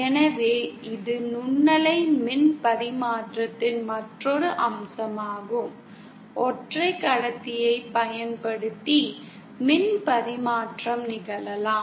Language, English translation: Tamil, So that is another aspect of microwave power transmission that it can happen, the power transmission can happen using a single conductor